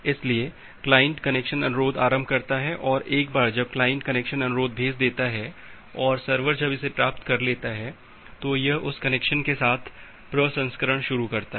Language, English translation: Hindi, So, the client initiates the connection request and once connects client receives sends a connection request and a server receives it, it start processing with that connection